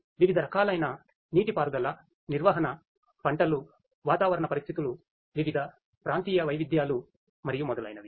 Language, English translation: Telugu, Irrigation management based on the different types of; crops, climatic conditions, different regional variations and so on